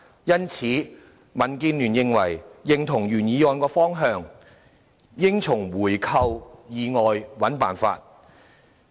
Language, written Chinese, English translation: Cantonese, 因此，民建聯認同原議案的方向，應在回購以外尋找方法。, Therefore DAB agrees with the direction proposed by the original motion that it is necessary to find a solution outside of buying back